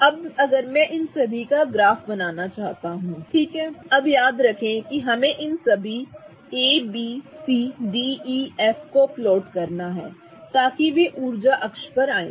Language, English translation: Hindi, So, now if I want to plot a graph of all of these, okay, now remember we have to plot all of these A, B, C, D, A, F, such that they fall on the energy axis